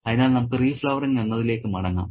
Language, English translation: Malayalam, So, let's go back to re flowering